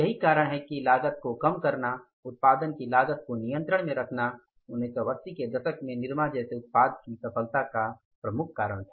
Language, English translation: Hindi, It means reducing the cost, keeping the cost of production under control was the major reason for the success of the product like Nirmah in 1980s